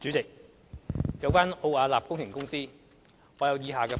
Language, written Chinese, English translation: Cantonese, 主席，有關奧雅納工程顧問公司，我有以下的補充。, President regarding the Ove Arup Partners Hong Kong Ltd Arup I would like to provide additional information as follows